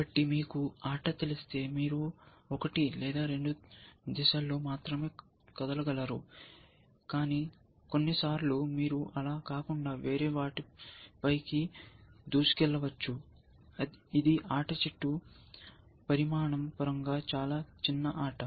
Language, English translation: Telugu, So, if you know the game, you can only move in one or two directions, one step or sometimes you can jump over other than so on, is a much smaller game in terms of the size of the game tree